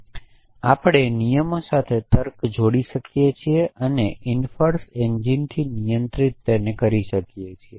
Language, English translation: Gujarati, So, we can associate logic with rules and control with an inference engine